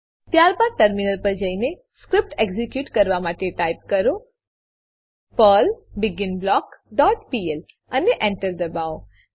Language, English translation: Gujarati, Then switch to terminal and execute the script by typing, perl beginBlock dot pl and press Enter